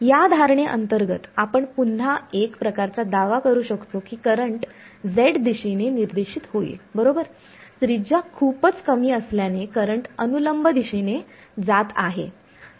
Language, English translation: Marathi, Under this assumption, we can again a sort of make a claim that the current is going to be z directed right; the current was going to go be going vertically up because the radius is very small